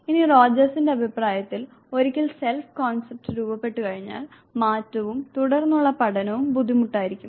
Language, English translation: Malayalam, Now, once the self concept is formed according to Rogers, changes and further learning becomes difficult